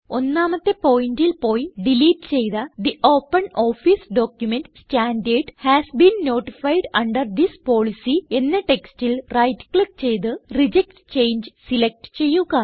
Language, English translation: Malayalam, Go to point 1 and right click on the deleted text The OpenOffice document standard has been notified under this policy and select Reject change